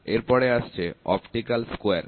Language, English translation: Bengali, Next is optical square